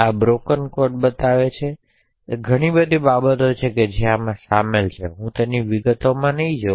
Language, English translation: Gujarati, So, this actually shows the broken code, so there are a lot of things which are involved so I will not go into the details of it